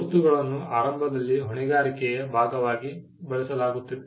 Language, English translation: Kannada, Marks initially used to be tied to liability